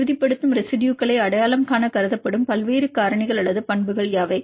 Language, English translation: Tamil, What are the various factors or properties considered for identifying the stabilizing residues